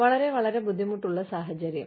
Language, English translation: Malayalam, Very, very, difficult situation